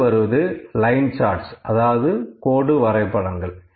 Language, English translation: Tamil, Next is line charts